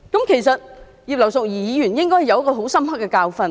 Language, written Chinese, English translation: Cantonese, 其實，葉劉淑儀議員應該有很深刻的教訓。, In fact Mrs Regina IP should have learnt a hard lesson